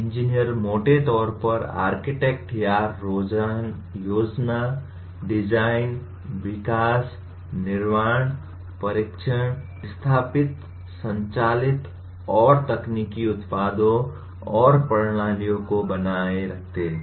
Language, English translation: Hindi, Engineers broadly architect or plan, design, develop, manufacture, test, install, operate and maintain technological products and systems